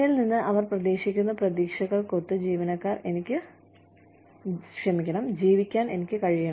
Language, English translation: Malayalam, I need to be, able to live up, to the expectations, they have, from me